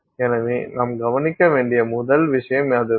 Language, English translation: Tamil, So, that is the first point we need to note